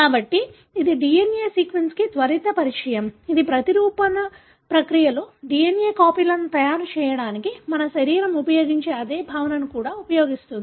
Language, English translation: Telugu, So, this is a quick introduction to DNA sequencing, which also uses same concept that our body uses for making copies of DNA during replication process